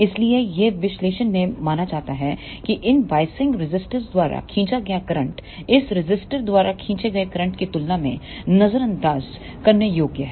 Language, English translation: Hindi, So, it is assumed in the analysis that the current drawn by these biasing resistors is negligible as compared to the current drawn by this resistor